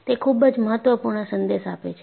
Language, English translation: Gujarati, It conveys a very important message